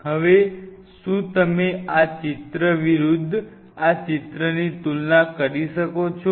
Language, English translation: Gujarati, Now, could you compare this picture versus this picture